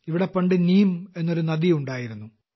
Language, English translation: Malayalam, A long time ago, there used to be a river here named Neem